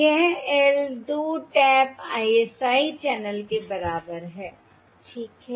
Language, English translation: Hindi, This is the L equal to 2 tap ISI channel